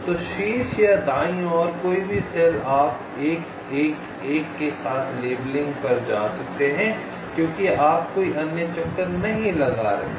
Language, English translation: Hindi, so any cell to the top or right, you can go on labeling with one one one, because you are not making any other detour